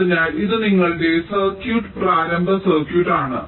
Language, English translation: Malayalam, so this is your circuit, initial circuit